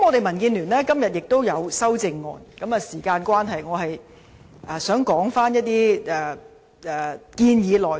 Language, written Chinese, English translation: Cantonese, 民建聯今天亦有提出修正案，但由於時間關係，我只會談談部分建議的內容。, As time is running out I will only talk about the contents of some of the amendments proposed by the Democratic Alliance for the Betterment and Progress of Hong Kong today